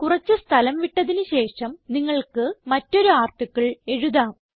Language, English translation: Malayalam, Now after leaving out some spaces you can write another article into the column